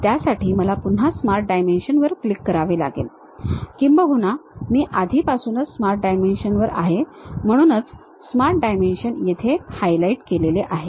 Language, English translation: Marathi, For that again I can click Smart Dimension or already I am on Smart Dimension; that is the reason the Smart Dimension is highlighted here